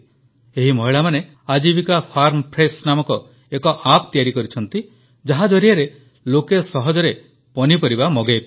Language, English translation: Odia, These women got an app 'Ajivika Farm Fresh' designed through which people could directly order vegetables to be delivered at their homes